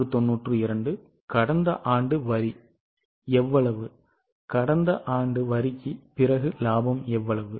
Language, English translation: Tamil, And how much was last year's tax, last year's profit after tax